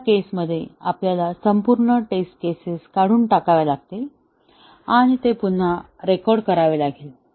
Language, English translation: Marathi, In this case, we have to discard the entire test case and rerecord it